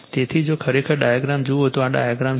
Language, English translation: Gujarati, So, if you see the diagram actually this is the diagram